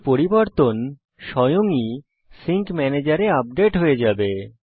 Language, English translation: Bengali, This changes will be automatically updated in the sync manager